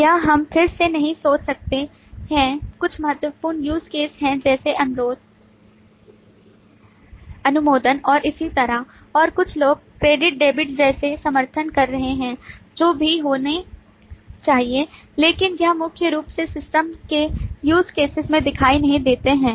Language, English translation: Hindi, This may not again, we can think of that some are important use cases like request, approve and so on, and some are supporting ones like debit credit, which also must happen, but it is not primarily visible use cases of the system